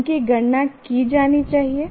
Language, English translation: Hindi, They should be enumerated